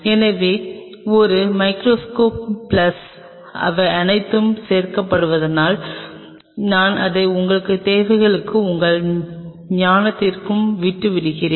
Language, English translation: Tamil, So, a microscope plus because these are all addend up, that I will leave it to your requirements and to your wisdom